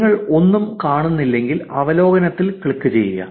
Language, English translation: Malayalam, If you do not see anything, click on the overview